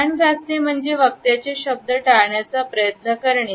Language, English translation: Marathi, The ear rub is an attempt to avoid the words of the speaker